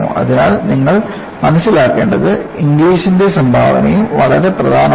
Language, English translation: Malayalam, So, what you will have to appreciate is, the contribution of Inglis is also very important